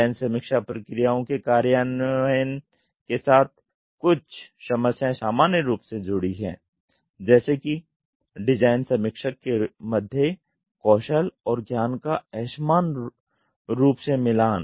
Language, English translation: Hindi, Some commonly associated problems with the implementation of the design review processes are; unevenly matched skills and knowledge among the design reviewer team